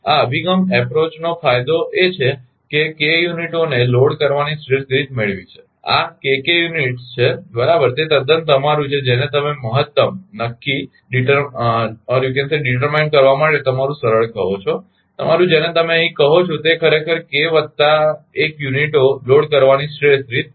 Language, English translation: Gujarati, The advantage of this approach is that having obtained the optimal way of loading k units this is k k units right, it is quite your what you call ah your easy to determine the optimal your what you call ah ah here actually ah optic optimal manner of loading k plus 1 units right